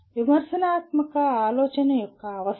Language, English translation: Telugu, That is requirements of critical thinking